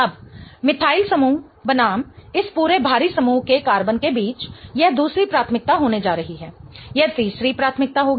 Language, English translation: Hindi, Now between the carbon of the methyl group versus this whole bulky group here this is going to be second priority, this is going to be third priority